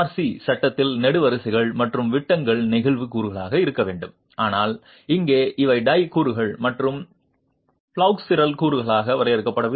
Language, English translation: Tamil, In an RC frame building, the columns and beams are meant to be flexural elements but here these are tie elements and not defined as flexual elements